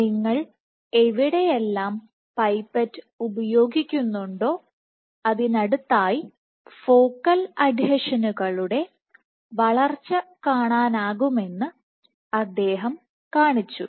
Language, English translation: Malayalam, And he showed that, in tub you can see that wherever you put the pipette next to this you see growth of focal adhesions